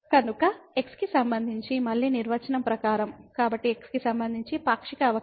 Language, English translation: Telugu, So, as per the definition again with respect to , so a partial derivative with respect to